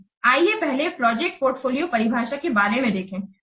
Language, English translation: Hindi, Let's see about first the project portfolio definition